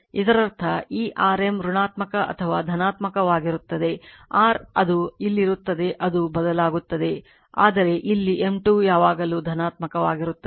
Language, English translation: Kannada, That means this your M is negative or positive does the your it will be here it will change, but here M square is always positive right